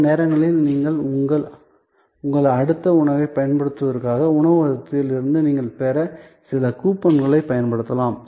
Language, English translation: Tamil, Sometimes you may be using some coupon, which you have received from the restaurant for using your next meal